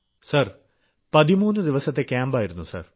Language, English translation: Malayalam, Sir, it was was a 13day camp